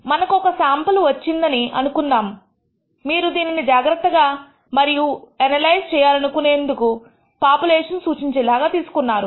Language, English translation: Telugu, We will assume that we have obtained a sample; you have done the due diligence and obtained the representative sample of whatever population you are trying to analyze